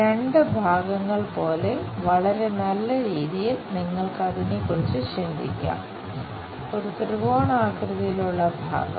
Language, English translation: Malayalam, You can think of it like two portions in a very nice way, a triangular piece